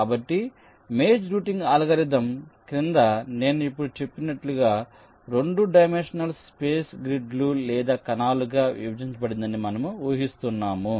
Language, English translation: Telugu, so under the maze routing algorithm, where we are assuming that ah, the two dimensional space is divided into grids or cells, as i have just now said